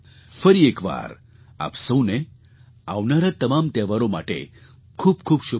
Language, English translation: Gujarati, Once again, my best wishes to you all on the occasion of the festivals coming our way